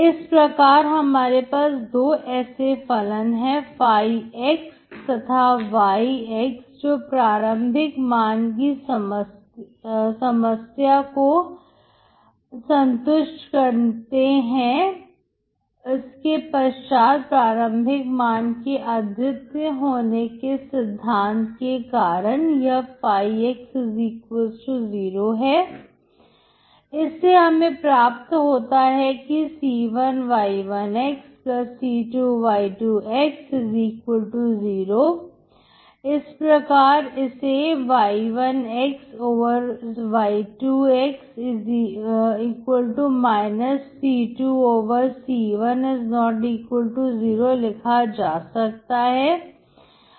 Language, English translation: Hindi, So I have two such functions, φ , and y satisfying the initial value problem, then by the uniqueness of the initial value problem, this φ =0, that implies c1 y1 +c2 y2=0, therefore I can rewrite y1 y2=−c2 c1≠0